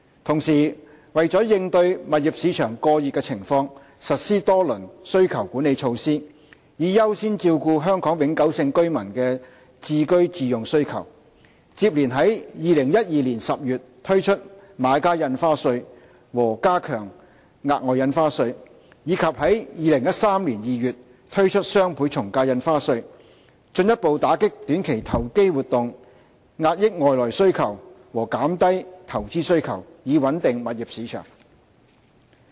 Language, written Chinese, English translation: Cantonese, 同時，為了應對物業市場過熱的情況，政府實施多輪需求管理措施，以優先照顧香港永久性居民的置居自用需求，接連於2012年10月推出買家印花稅和加強額外印花稅，以及在2013年2月推出雙倍從價印花稅，進一步打擊短期投機活動、遏抑外來需求和減低投資需求，以穩定物業市場。, Meanwhile to address an overheated property market the Government has implemented several rounds of demand - side management measures to accord priority to the home ownership needs of Hong Kong permanent residents successively introducing the Buyers Stamp Duty BSD and enhancement of SSD in October 2012 and DSD in February 2013 to further combat short - term speculation curb external demand and reduce investment demand thereby stabilizing the property market